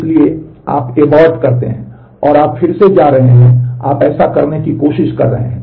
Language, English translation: Hindi, So, you abort and you are going back again and you are trying to do this